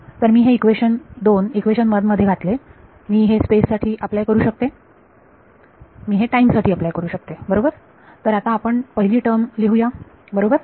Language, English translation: Marathi, So, if I put these 2 into 1, I can apply this to space, I can apply this to time right, so let us write down the first term right